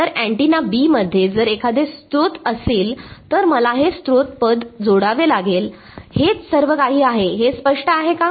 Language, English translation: Marathi, So, if there were source in antenna B then I have to add the source term that is all, is it clear